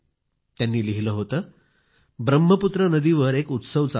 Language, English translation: Marathi, He writes, that a festival is being celebrated on Brahmaputra river